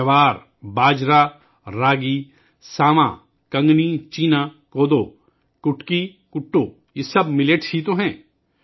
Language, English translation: Urdu, Jowar, Bajra, Ragi, Sawan, Kangni, Cheena, Kodo, Kutki, Kuttu, all these are just Millets